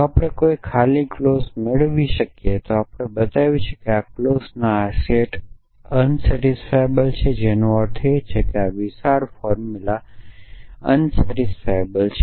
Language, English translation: Gujarati, If we can derive an empty clause then we have shown that this set of clauses unsatisfiable which means this large formula is unsatisfiable